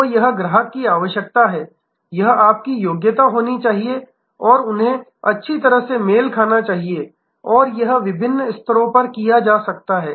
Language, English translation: Hindi, So, this is customer requirement this must be your competency and offering they must be well matched and this can be done at different levels